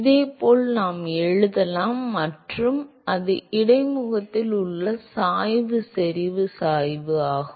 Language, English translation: Tamil, And similarly, we could write and that is the gradient concentration gradient at the interface